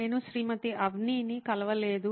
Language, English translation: Telugu, I have not met any Mrs Avni